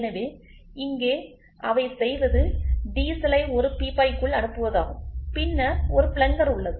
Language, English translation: Tamil, So, here what they do is the diesel enters into a barrel and then there is a plunger